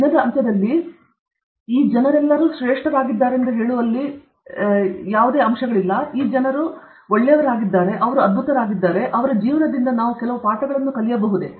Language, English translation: Kannada, At the end of the day, there is no point in saying all these people were great, all these people were great okay; they are great; from their lives, can we learn some lessons